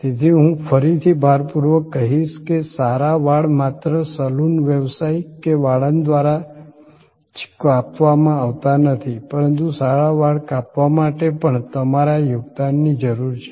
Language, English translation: Gujarati, So, again I would emphasize that a good hair cut is not only provided by the barber by the saloon professional, but also a good hair cut needs your contribution